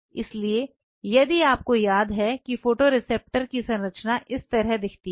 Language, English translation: Hindi, So, if you remember the structure of the photoreceptors looks like this